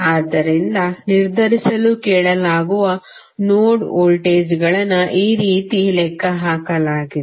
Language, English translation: Kannada, So, the node voltages which are asked to determine have been calculated in this way